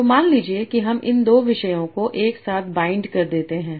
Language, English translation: Hindi, So suppose I blend these two topics together